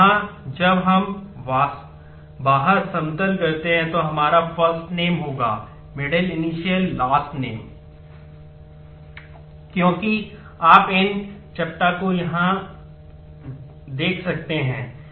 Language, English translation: Hindi, So, here when we flatten out we will have first name, middle, initial, last name as you can see these flattened out from here